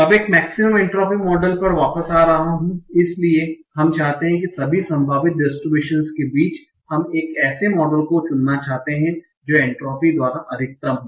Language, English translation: Hindi, Now, coming back to our maximum entropy model, so we want to, among all the possible distributions, we want to choose a model that maximizes my entropy